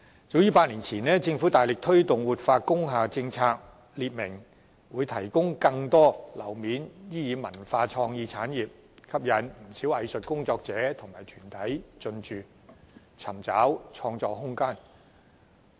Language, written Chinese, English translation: Cantonese, 早於8年前，政府大力推動活化工廈政策，表明會劃出更多樓面面積作為發展文化創意產業之用，因而吸引不少藝術工作者及團體進駐，尋找創作空間。, As early as eight years ago the Government vigorously promoted the policy of revitalization of industrial buildings and made clear that more floor area would be zoned for development cultural and creative industries . A lot of artists and arts groups were thus attracted to move into those buildings where they could have room for artistic creation